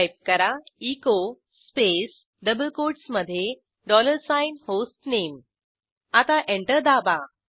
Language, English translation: Marathi, Type echo space within double quotes dollar sign HOME Press Enter